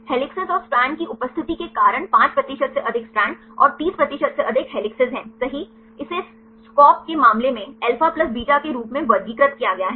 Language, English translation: Hindi, Due to the presence of helices and strands more than 5 percent strand and more than 30 percent helix right it is classified as alpha plus beta in the case of SCOP